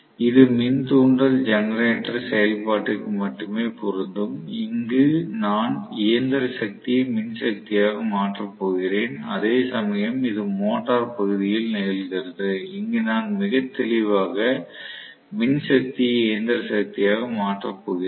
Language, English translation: Tamil, So this will correspond only to induction generator operation where I am going to convert mechanical power into electrical power whereas this happens in motoring region, where I am going to have very clearly electrical power is converted into mechanical power